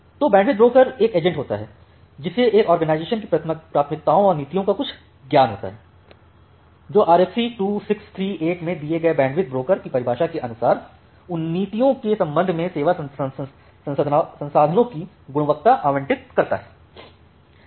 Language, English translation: Hindi, So, the bandwidth broker is an agent that has some knowledge of an organizations priorities and policies, and allocates quality of service resources with respect to those policies as per the definition of bandwidth broker given in RFC 2638